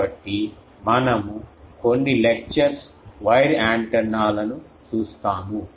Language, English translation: Telugu, So, we will see wire antennas in few lectures